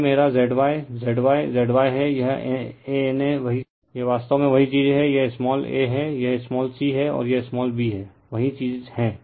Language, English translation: Hindi, So, this is my Z Y Z Y Z Y right this is A N A same thing this is actually it is same thing it is small a , this is your small c , and this is your small b , same thing